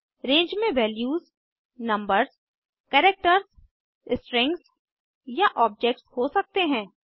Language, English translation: Hindi, The values in a range can be numbers, characters, strings or objects